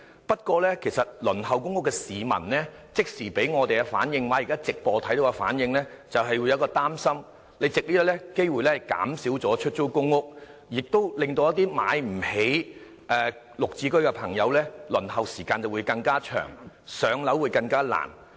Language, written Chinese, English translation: Cantonese, 不過，輪候公屋的市民給我們的即時反應——收看直播後的反應——是有點擔心，你會否藉這個機會減少出租公屋數量，而這會令一些買不起"綠置居"的朋友，輪候時間更長，更難上樓。, However the immediate response we received from those waiting for PRH units―I mean their response right after watching the live broadcast on television―was an expression of slight worry . They fear that you may use this as a means of reducing the number of PRH units and that this will lengthen the waiting time of those who do not have the means to buy GSH units thus making it even more difficult for them to get a PRH unit